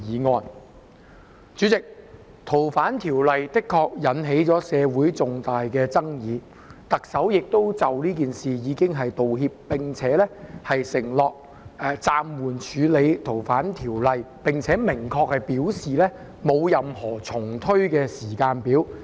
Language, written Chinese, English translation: Cantonese, 代理主席，《逃犯條例》的修訂的確引起社會重大爭議，特首亦已就此事道歉，並承諾暫緩處理《逃犯條例》的修訂，亦明確表示沒有任何重推時間表。, Deputy President the amendment of the Fugitive Offenders Ordinance FOO has indeed caused a great controversy in society and the Chief Executive has also apologized for this undertaking to suspend the amendment exercise of FOO and stating clearly that there is no timetable for reintroducing it